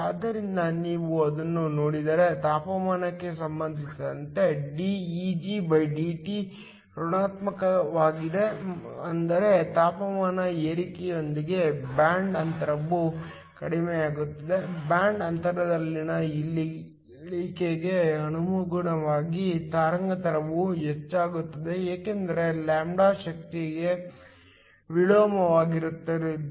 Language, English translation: Kannada, So, if you look at it dEgdT with respect to temperature is negative which means the band gap essentially decreases with rise in temperature; corresponding to a decrease in band gap, the wavelength will increase because λ is inversely proportional to energy